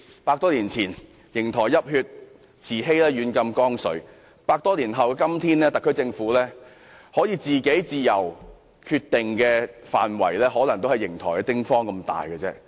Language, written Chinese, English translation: Cantonese, 百多年前，瀛台泣血，慈禧軟禁光緒；百多年後的今天，特區政府可以自由決定的範圍，可能也只有瀛台的丁方大小。, Over a century ago Yingtai witnessed the sorrowful episode of Emperor Guangxu being put under house arrest by Empress Dowager Cixi; today after the passage of more than a century the area over which the SAR Government is free to exercise jurisdiction is perhaps not any larger than the size of the tiny Yingtai